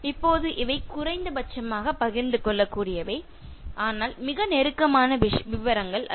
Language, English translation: Tamil, Now these are things like you can share to the minimum, but not very intimate details